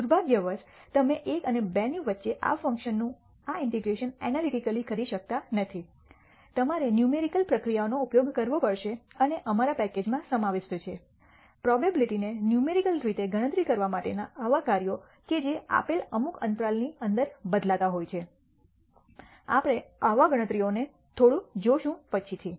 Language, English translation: Gujarati, Unfortunately, you cannot analytically do this integration of this function between 1 and 2 you have to use numerical procedures and the our package contains, such functions for computing the probability numerically such that the variable lies within some given interval we will see such computations a little later